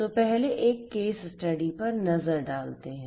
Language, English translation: Hindi, So, let us look at a case study first